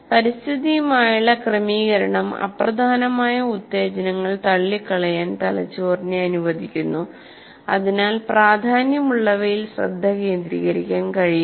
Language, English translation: Malayalam, The adjustment to the environment allows the brain to screen out unimportant stimuli so it can focus on those that matter